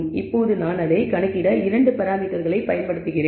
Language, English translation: Tamil, Now, I am using two parameters to compute it